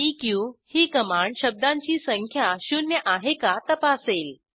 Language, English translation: Marathi, gt command checks whether word count is greater than hundred